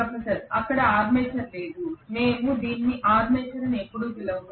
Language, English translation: Telugu, There is no armature, we never call this as armature